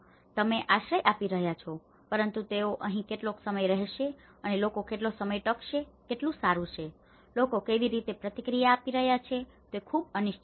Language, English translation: Gujarati, So, you are providing the shelter but how long they are going to stay here and how long it is good to last, how people are going to respond is very uncertain